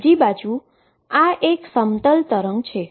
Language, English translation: Gujarati, On the other hand this is a plane wave